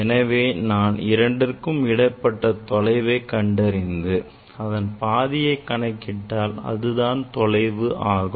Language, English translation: Tamil, we will measure distance between these two and then half of will give you these distance